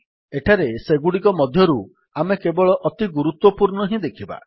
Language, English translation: Odia, Here we will see only the most important of them